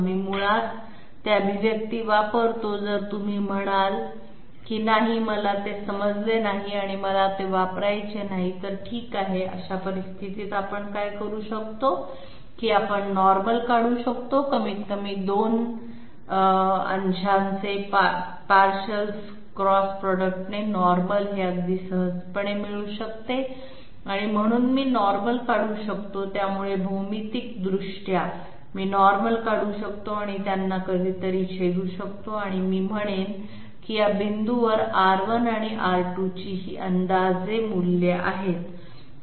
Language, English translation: Marathi, We employ basically those expressions, if you say that no I could not understand it and I do not want to use it, fine in that case what we can do is we can draw normals, normal at least has been found out very easily as the cross product of the 2 partials and therefore I can draw the normal, so geometrically I can draw the normals and let them intersect at some point and I will say that these approximate values of R 1 and R 2 at these points